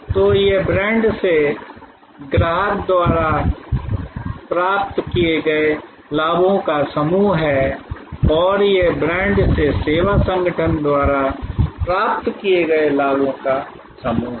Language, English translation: Hindi, So, these are the set of advantages derived by the customer from the brand and these are the set of advantages derived by the service organization from the brand